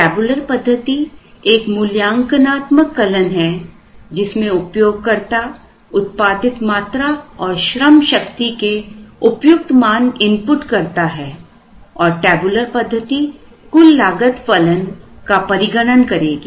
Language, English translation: Hindi, The tabular method was an evaluative algorithm, where the user inputs the values of the production quantities, and the workforce as relevant and the tabular method would evaluate a total cost function